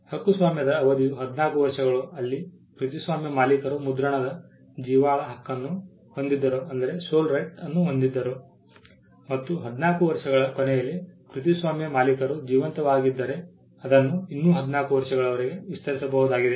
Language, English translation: Kannada, The term of the copyright was 14 years, where the copyright owner had the soul right of printing and it could be extended by another 14 years if the copyright owner was alive at the end of the 14 years